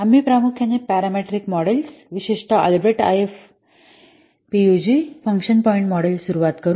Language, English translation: Marathi, We'll mainly start about the parameter models, especially the Albreached I F UG function point model